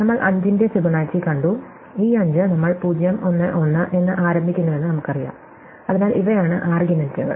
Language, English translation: Malayalam, So, we just saw the Fibonacci of 5, this 5, we know that we start with 0, 1, 1, so these are the arguments